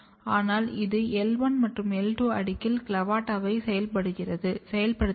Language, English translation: Tamil, But it activates CLAVATA in L1 and L2 layer